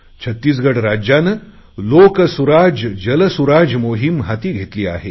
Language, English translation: Marathi, Chhattisgarh has started the 'LokSuraj, JalSuraj' campaign